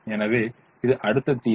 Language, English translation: Tamil, so this is the next solution